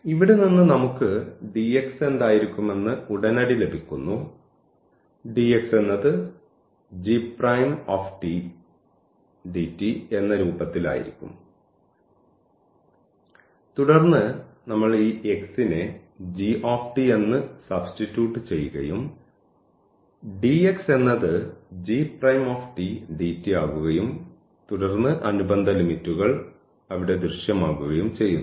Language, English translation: Malayalam, We immediately get that what would be our dx from here, so dx would be g prime t and dt in this form and then we substitute this x as g t and dx will be the g prime t dt and then the corresponding the limits will appear there